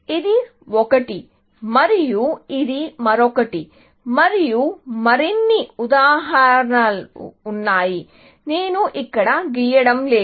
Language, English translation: Telugu, So, this is one, and this is another one, and there are more examples, which I am not drawing here